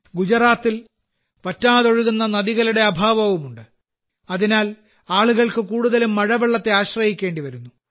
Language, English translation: Malayalam, There is also a lack of perennially flowing rivers in Gujarat, hence people have to depend mostly on rain water